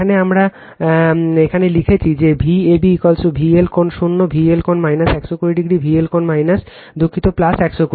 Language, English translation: Bengali, Here we have written here we have written that your V ab is equal to V L angle zero, V L angle minus 120 degree, V L angle minus your sorry plus 120 degree right